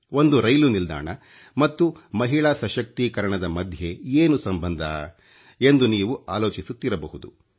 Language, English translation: Kannada, You must be wondering what a railway station has got to do with women empowerment